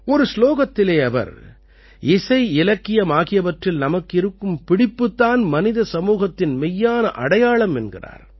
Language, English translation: Tamil, In one of the verses he says that one's attachment to art, music and literature is the real identity of humanity